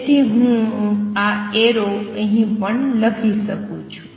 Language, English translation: Gujarati, So, I can write these arrows here also